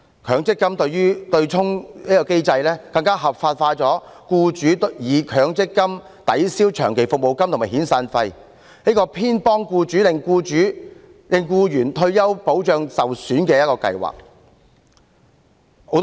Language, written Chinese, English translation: Cantonese, 強積金對沖機制更合法化了僱主以強積金抵銷長期服務金和遣散費的做法，令強積金變為偏袒僱主、令僱員的退休保障受損的計劃。, The offsetting mechanism under MPF even legalized employers practice of offsetting long service payment and severance payment with MPF contributions so MPF became a system that is biased in favour of employers at the expense of retirement protection for employees